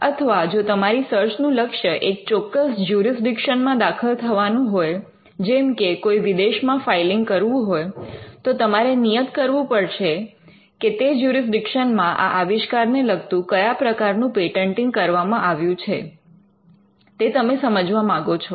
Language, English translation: Gujarati, So, or if your search is particularly to enter a particular jurisdiction; say, a foreign filing then you would stipulate that you need to understand what is the patenting on this invention in a particular jurisdiction